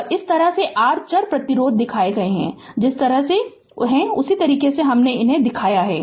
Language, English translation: Hindi, And this is the way we have shown the your variable resistance that way we have shown same way